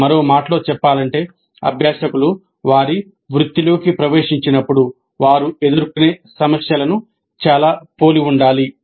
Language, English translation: Telugu, In other words, the problems should look very similar to the kind of problems that we expect the learners to face when they actually enter their profession